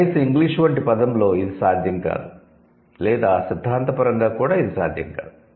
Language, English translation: Telugu, At least it's not possible in a word like English or theoretically also it's not possible